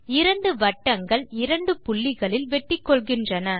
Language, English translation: Tamil, Two circles intersect at two points